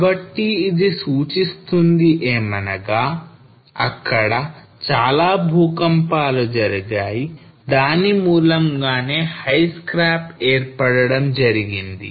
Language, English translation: Telugu, So this itself indicate that there were multiple earthquakes which resulted into the formation of this high scarp